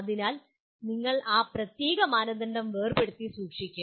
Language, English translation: Malayalam, So you will keep that particular criterion separate